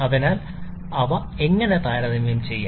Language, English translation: Malayalam, So, how we can compare them